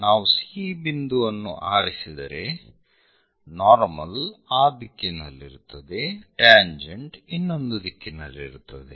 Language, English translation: Kannada, If we are picking C point normal will be in that direction, tangent will be in other direction